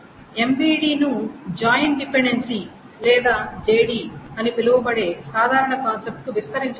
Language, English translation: Telugu, Now the mv can be extended to a general concept which is called the join dependency or JD